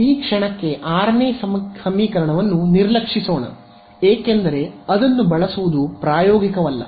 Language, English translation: Kannada, So, we do not use equation 6 let us for the moment ignore equation 6 why because it is not practical to use it